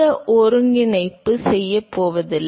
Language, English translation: Tamil, So, not going to do the integration here